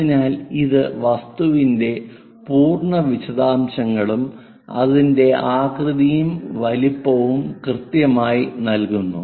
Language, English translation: Malayalam, So, it accurately gives that complete object details and shape and size